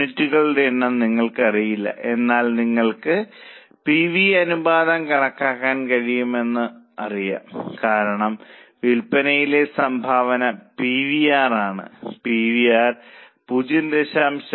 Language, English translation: Malayalam, Number of units is non known to you but you know the you can calculate the PV ratio because contribution upon sales is PVR